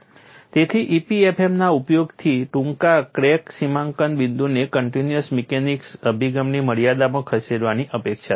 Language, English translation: Gujarati, So, the use of EPFM is expected to shift the short crack demarcation point to the limit of a continuum mechanics approach